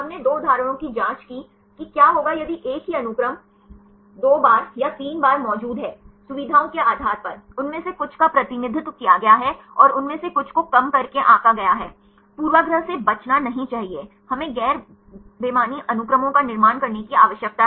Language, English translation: Hindi, We checked two examples like what will happen if the same sequences are present two times or three times, depending upon the features; some of them are over represented and some of them are underrepresented, should not avoid the bias; we need to construct non redundant sequences